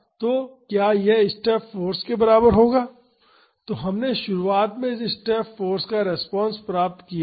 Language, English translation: Hindi, So, will that be equal to the step force so, we had derived the response of this step force initially